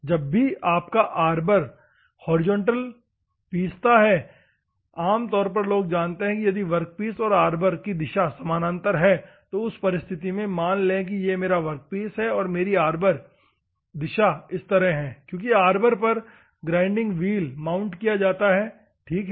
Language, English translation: Hindi, Horizontal grinding whenever your Arbor, normally people know if your workpiece and Arbor direction are parallel in that circumstances assume that this is my workpiece and my Arbor direction is like this because on an Arbor the grinding wheel is mounted, ok